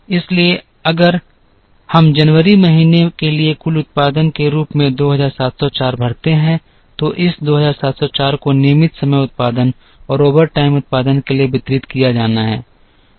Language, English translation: Hindi, So, if we fill a 2,704 as the total production for the month of January now this 2,704 has to be distributed to regular time production and overtime production